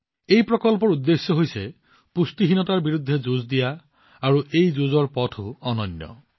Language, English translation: Assamese, The purpose of this project is to fight against malnutrition and the method too is very unique